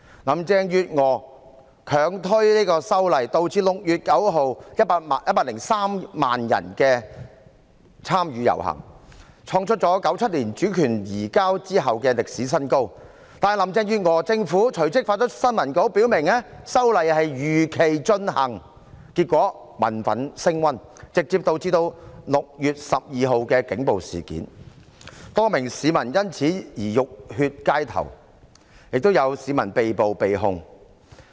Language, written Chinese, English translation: Cantonese, 林鄭月娥強推修例，導致6月9日103萬人參與遊行，創出自1997年主權移交後的歷史新高，但林鄭月娥政府隨即發出新聞稿表明修例會如期進行，結果民憤升溫，直接導致6月12日的警暴事件，多名市民因此浴血街頭，亦有市民被捕、被控。, Carrie LAMs insistence to push ahead with the amendments led to the rally participated by 1.03 million people on 9 June hitting a record high since the handover of sovereignty in 1997 . However the Carrie LAM Government immediately issued a press release stating that the amendment exercise would be conducted as scheduled . As a result public resentment was aggravated thus directly giving rise to the incident of police brutality on 12 June